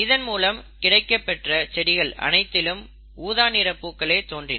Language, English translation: Tamil, In other words, this would result in purple flowers